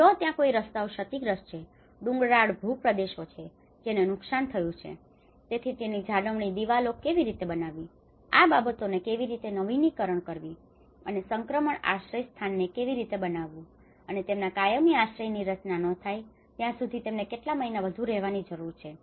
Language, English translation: Gujarati, If there are roads damaged, if there are hilly terrains which were damaged, so how to build retaining walls, how to renew these things and the transition shelters and because they need to stay for some more months until their permanent shelter is designed